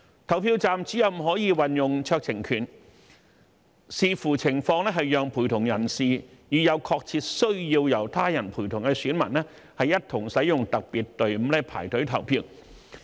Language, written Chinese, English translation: Cantonese, 投票站主任可運用酌情權，視乎情況讓陪同人士與有確切需要由他人陪同的選民，一同使用特別隊伍排隊投票。, PROs have been allowed to exercise discretion where appropriate to allow accompanying persons to use the special queue together with electors who have a genuine need to be accompanied by others